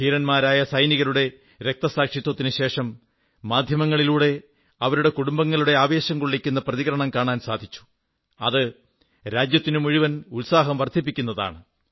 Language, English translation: Malayalam, The martyrdom of these brave soldiers brought to the fore, through the media, touching, inspiring stories of their kin, whichgive hope and strength to the entire country